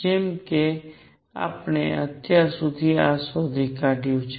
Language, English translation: Gujarati, As we have found this so far